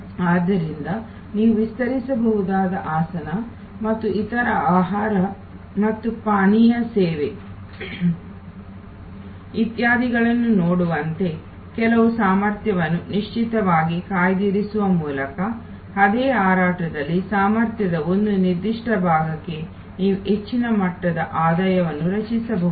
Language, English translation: Kannada, So, there by reserving certain capacity with certain as you can see stretchable seat and other food and beverage service etc, you can create a much higher level of revenue for a particular part of the capacity in the same flight